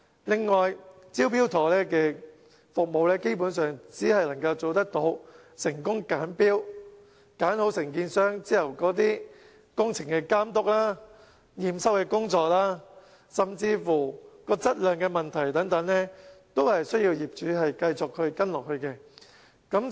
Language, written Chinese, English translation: Cantonese, 另外，"招標妥"服務基本上只能做到"成功揀標"，選好承建商後的工程監督及驗收工作，甚至質量問題等，均須業主繼續跟進。, Basically the Smart Tender Scheme only serves to help owners choosing the right bidder yet owners will still have to deal with other issues on their own such as project supervision inspection and acceptance or even issues relating to quality of works and so on